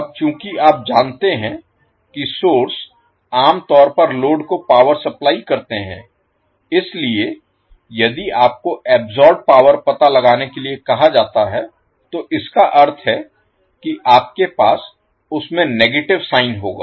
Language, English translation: Hindi, Now since you know that source generally supply power to the load so if you are asked to find out the power absorbed that means that you will have negative sign in that